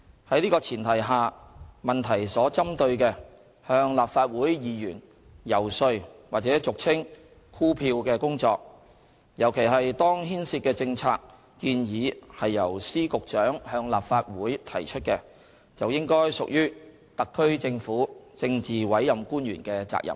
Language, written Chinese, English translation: Cantonese, 在此前提下，質詢所針對的向立法會議員遊說或俗稱"箍票"的工作，尤其是當牽涉的政策建議是由司、局長向立法會提出的，就應該屬於特區政府政治委任官員的責任。, Based on this premise the lobbying work on Legislative Council Members or what is commonly known as soliciting votes as referred to in the question should be the responsibility of the politically appointed officials of the HKSAR Government especially if the policy proposal involved is one put forward to the Legislative Council by Secretaries and Directors of Bureaux